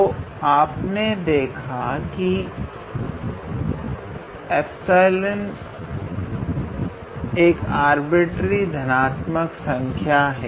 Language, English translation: Hindi, So, you see epsilon is an arbitrary chosen positive number